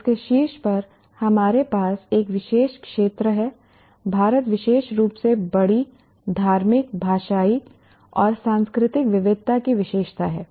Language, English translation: Hindi, And on top of that, we have a peculiar region India is particularly characterized by large religious linguistic and cultural diversity